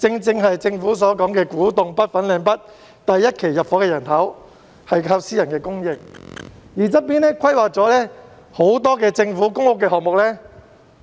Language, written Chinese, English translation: Cantonese, 政府所說的古洞北/粉嶺北第一期入伙的居民，正正屬於私人住宅發展項目，而旁邊規劃了很多政府的公屋項目。, According to the Government the first population intake of the Kwu Tung NorthFanling North NDAs is precisely attributable to the private residential development . Adjacent to it are the many public housing developments planned by the Government but the site there has remained lush green